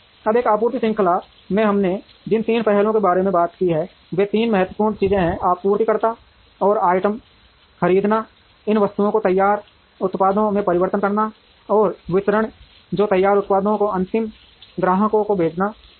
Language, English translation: Hindi, Now, there are three aspects we spoke about in a supply chain, the three important things are procurement buying items from suppliers, transformation or converting these items into finished products, and distribution which is to send the finished products to the ultimate customers